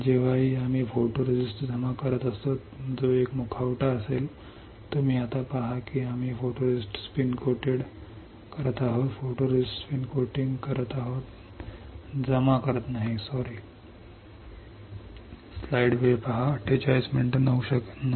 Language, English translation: Marathi, Whenever we are depositing a photoresist that will be one mask; you see we are spin coating photoresist so, not depositing sorry spin coating photoresist